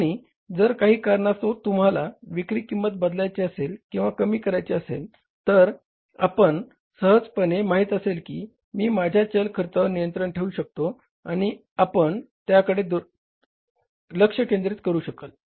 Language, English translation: Marathi, And if some reason you have to change the selling price, reduce the selling price, you easily know I can control my variable cost and you will focus upon that